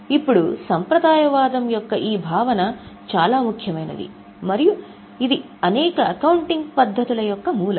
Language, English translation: Telugu, Now, this concept of conservatism is very important and it is at a root of several accounting treatments